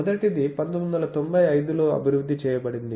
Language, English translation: Telugu, The first one was developed in 1995